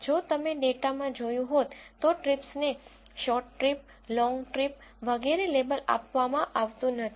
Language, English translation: Gujarati, If you would have noticed in the data the trips are not labeled as short trip, long trip and so on